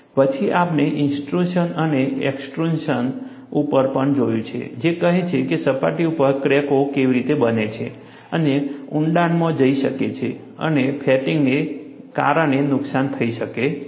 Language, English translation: Gujarati, Then, we also looked at, intrusion and extrusion, which says how cracks can form on the surface and go deeper and fatigue damage can result